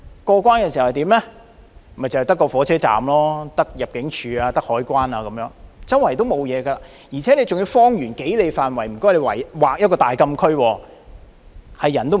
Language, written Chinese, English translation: Cantonese, 過關後只有火車站、入境處和海關，沒有其他設施，而且，方圓數里更被劃為禁區，沒有人能夠進入。, After crossing the boundary one can see nothing but the railway station and the immigration and customs facilities . Other facilities are just not available . What is worse a few miles around the boundary has been designated as closed area inaccessible to the public